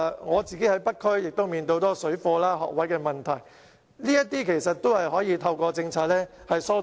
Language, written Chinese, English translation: Cantonese, 我在北區的工作亦面對很多有關水貨及學額的問題，這些都可以透過政策疏導。, During my work in North District I also faced a lot of problems relating to parallel trading and school places and these problems can be alleviated through policies